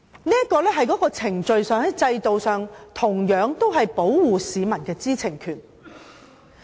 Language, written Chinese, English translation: Cantonese, 這是在程序上、制度上保護市民知情權的措施。, This is as far as the procedure or system is concerned a measure to protect the publics right to know